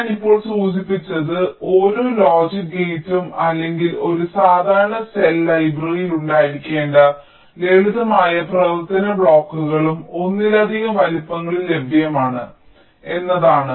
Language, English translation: Malayalam, ok, so what i have just now mentioned is that each logic gate, or the simple functional blocks which are supposed to be there in a standard cell library, are available in multiple sizes